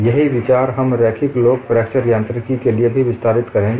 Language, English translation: Hindi, The same idea we would also extend it for linear elastic fracture mechanics